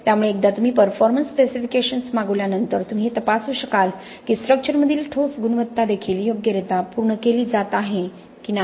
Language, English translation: Marathi, So once you call for performance specifications you will then be able to ascertain whether the concrete quality in the structure is also being met properly or not